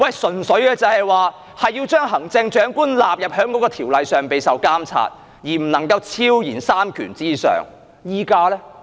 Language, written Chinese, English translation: Cantonese, 純粹是要將行政長官納入該條例受監察，而不能夠超然在三權之上而已。, The aim is simply to include the Chief Executive in the ambit of the Ordinance so that she cannot transcend the three branches of Government